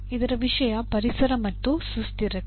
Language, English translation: Kannada, Environment and sustainability